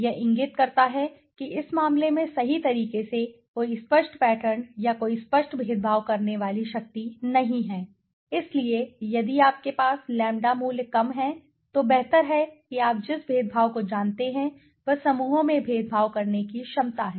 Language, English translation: Hindi, It indicates that there is no clear pattern or no clear discriminating power in the case in this case right so if you have the lower the lambda value the better is the discriminating you know the ability to discriminate the groups right